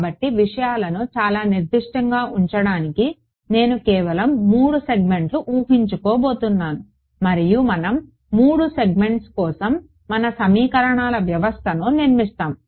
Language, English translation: Telugu, So, to keep things very concrete what I am going to do is I am going to assume 3 segments just 3 segments and we will build our system of equations for 3 segments